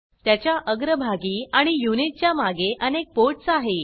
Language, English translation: Marathi, It has many ports in the front and at the back of the unit